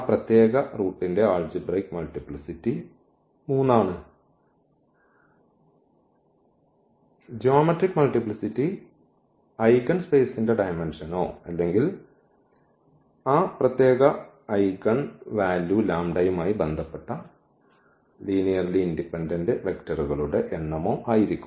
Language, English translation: Malayalam, So, then it is algebraic multiplicity of that particular root is 3 and the geometric multiplicity will be the dimension of the eigenspace or the number of linearly independent vectors we have corresponding to that particular eigenvalue lambda